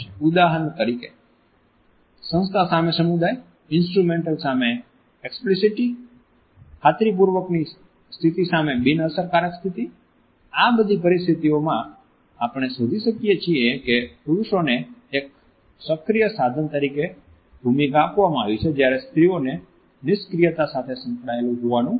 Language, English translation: Gujarati, For example, agency versus communion, instrumental versus explicit, status asserting versus a status neutralizing, where is in all these dyads we find that men have been given the role of being an active agency whereas, women are supposed to be associated with passivity and less agency